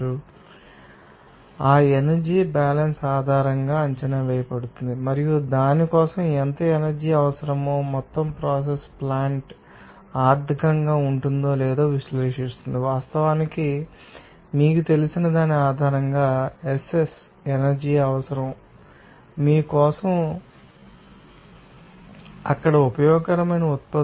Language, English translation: Telugu, So, that also can be assessed based on that energy balance and also how much energy to be required for that and also overall process plant analyzes whether it will be economic or not, that is actually SS based on that you know, energy requirement for the whole plant for you know, producing certain, you know useful products there